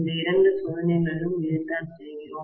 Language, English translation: Tamil, This is what we do in these two tests